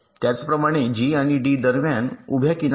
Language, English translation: Marathi, similarly, between g and d there is a vertical edge